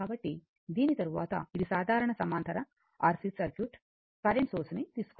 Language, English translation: Telugu, So, after this, so this is simple parallel R C circuit we take current source